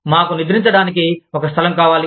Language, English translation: Telugu, We need a place, to sleep